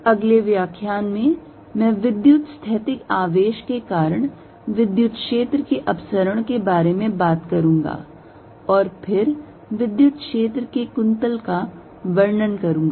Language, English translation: Hindi, In the next lecture I will talk about divergence of electric field due to electrostatic charges and then go on to describe the curl of the electric field